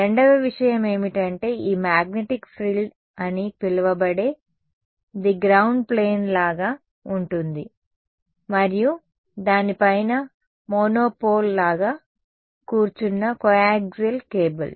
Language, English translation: Telugu, The second thing is what is called this magnetic frill which it is like a ground plane and a coaxial cable sitting on top of it like a monopole